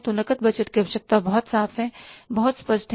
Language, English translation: Hindi, So, the cash budget requirement is very much clear, is very much obvious